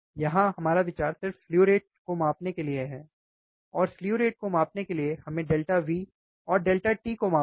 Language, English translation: Hindi, We here our idea is just to measure the slew rate, and for measuring the slew rate, what we have to measure delta V and delta t